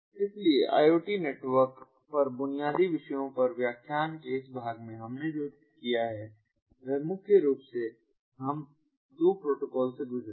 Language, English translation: Hindi, so in this ah part of the lecture on basic topics, ah on iot networks, ah, so, ah, what we have done is primarily we have gone through two protocols